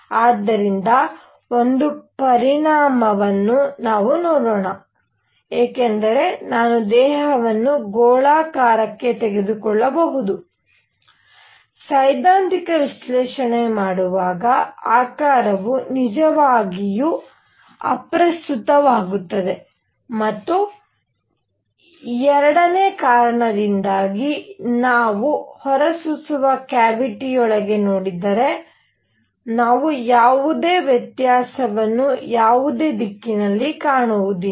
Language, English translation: Kannada, So, let us see the consequences because of one I can take the body to be spherical, when doing a theoretical analysis because the shape does not really matter and because of 2, if we look into a cavity radiating, we will not see any difference in any direction